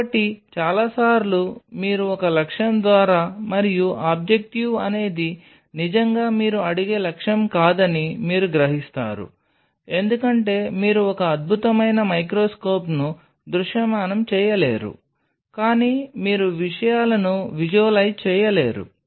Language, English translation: Telugu, So, many a times you by an objective and then you realize that objective is not really the objective you are asking for because you are unable to visualize a wonderful microscope, but you are unable to visualize things